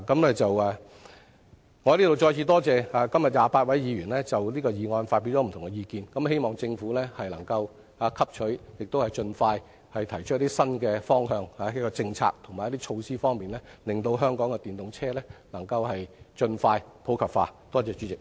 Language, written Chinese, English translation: Cantonese, 我在這裏再次感謝今天28位議員就這項議案發表不同的意見，希望政府能夠聽取及盡快提出新方向、政策及措施，令香港的電動車能夠盡快普及化。, I hereby thank the 28 Members once again for giving different views on the motion today . I hope that the Government would heed the opinions and put forward new directions policies and measures on EVs as soon as possible to enable the expeditious popularization of EVs in Hong Kong